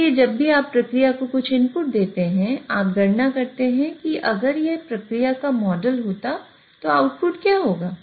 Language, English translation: Hindi, So, whenever you give some input to the process, you compute what would have been the output if this was the model of the process